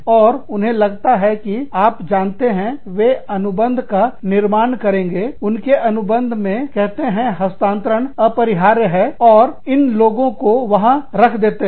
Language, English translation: Hindi, And, they feel that, you know, they will build that stipulation, into their contract, and say transfers are inevitable, and they will put these people, there